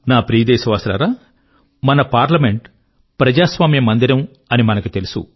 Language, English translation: Telugu, My dear countrymen, we consider our Parliament as the temple of our democracy